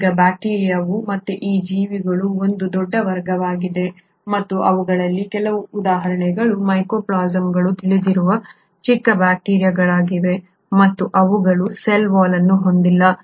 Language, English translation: Kannada, Now bacteria again is a huge class of these organisms and some of them are for example Mycoplasmas which are the smallest known bacteria and they do not have a cell wall